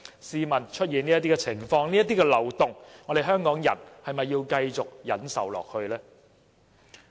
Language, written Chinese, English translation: Cantonese, 試問出現這些情況和漏洞，香港人還要繼續忍受下去嗎？, How much longer do Hong Kong people have to put up with this situation and loophole?